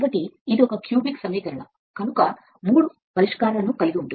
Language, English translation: Telugu, So, it is a cubic equation you will have 3 solutions